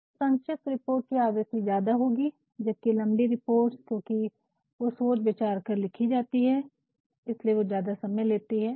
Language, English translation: Hindi, So, short reports will be more in frequency whereas, longer reports because they have to be written verydiscretefully is not it that is why they will take a lot of time